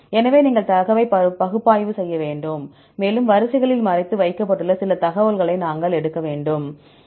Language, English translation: Tamil, So, you need to analyze the data and we have to extract some information which are hidden in the sequences